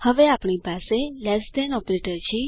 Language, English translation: Gujarati, We now have the less than operator